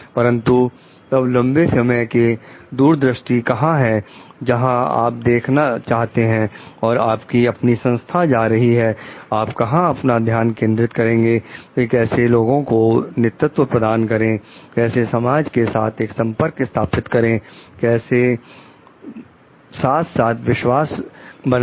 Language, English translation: Hindi, But, then where is a long term vision, where you want to see where organization is going, like where do we focus on like how to lead with the people, how to establish a connection with the society at large, how to like do go for like a trust building